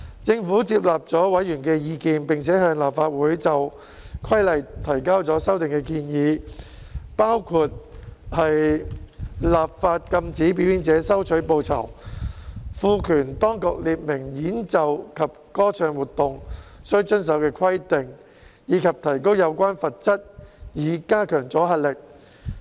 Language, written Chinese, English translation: Cantonese, 政府接納了委員的意見，並且向立法會就《規例》提交了修訂建議，包括立法禁止表演者收取報酬，賦權當局列明演奏及歌唱活動須遵守的規定，以及提高有關罰則以加強阻嚇力。, The Government accepted members views and submitted to the Legislative Council the amendment proposals for the Regulation which include enacting legislation to prohibit performers from accepting reward empowering the authorities to specify requirements for musical performance and singing activities and increasing the penalties concerned to enhance deterrent effect